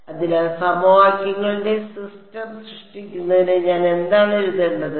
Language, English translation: Malayalam, So, to generate the system of equations what will I what can I write it